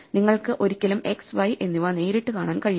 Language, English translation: Malayalam, So, you should never be able to look at x and y directly